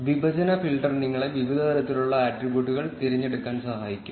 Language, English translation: Malayalam, The partition filter can help you select the different levels of categorical attributes